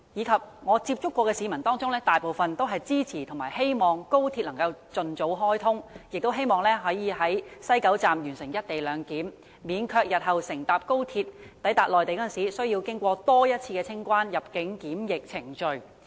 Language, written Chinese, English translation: Cantonese, 在我曾接觸的市民當中，大部分均支持和希望高鐵能盡早開通，並希望可在西九龍站完成"一地兩檢"，免卻日後乘搭高鐵抵達內地時需要進行多一次清關、入境及檢疫程序。, Among the citizens with whom I have contact most are in support of and looking forward to the early commissioning of XRL . It is also their hope that the co - location arrangement can be implemented at West Kowloon Station so that they will not be required to complete the customs immigration and quarantine procedures once again in the Mainland when they travel on XRL in the future